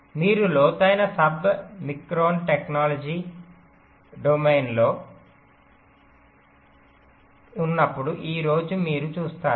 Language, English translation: Telugu, but you see, today, when you are in to the deep submicron technology domain, here the situation has reversed